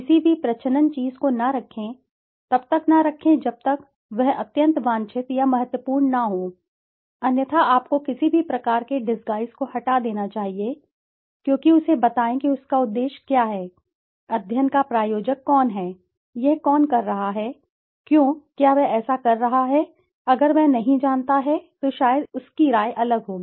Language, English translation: Hindi, Do not keep any disguised thing, do not keep until/unless it is extremely wanted or important otherwise you should remove any kind of disguise because let him know what is the purpose, who is the sponsor of the study, who is doing it, why is he doing it, if he does not know, then maybe his opinions would be different